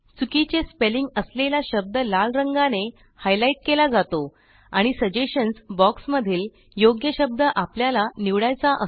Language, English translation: Marathi, The word with the wrong spelling is highlighted in red and there are several suggestions for the correct word in the Suggestions box from where you can choose the correct word